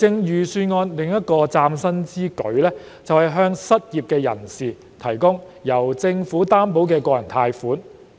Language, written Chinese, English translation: Cantonese, 預算案另一項嶄新之舉，是向失業人士提供由政府擔保的個人貸款。, Another new initiative in the Budget is to offer unemployed people personal loans with the Governments guarantee commitment